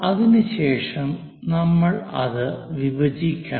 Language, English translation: Malayalam, After that we have to divide this one